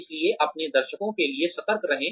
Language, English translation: Hindi, So be alert to your audience